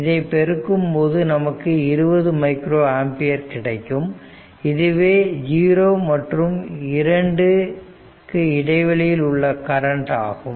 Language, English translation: Tamil, If you multiply this will be 20 minus your your ampere ah your what you call the current right in between that interval 0 and 2